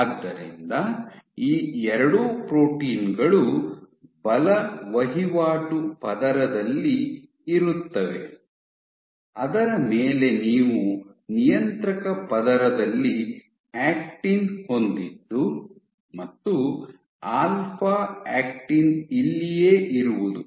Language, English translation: Kannada, So, both of these proteins are present in the force transaction layer on top of which you have actin in regulatory layer and this is where alpha actin is present